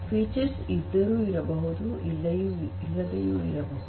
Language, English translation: Kannada, So, features may be present, may not be present